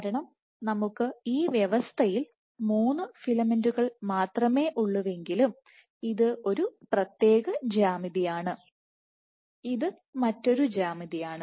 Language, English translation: Malayalam, Because even if we have only three filaments in the system this is one particular geometry versus this might be another geometry